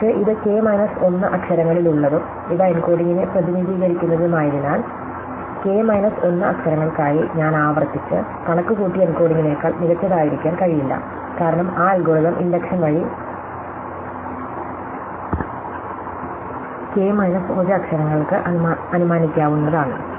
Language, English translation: Malayalam, But, because this over k minus 1 letters and these are represent the encoding, it cannot be any better than the encoding that I recursively computed for k minus 1 letters, because I am assumed by induction by that algorithm those efficiently for k minus 1 letters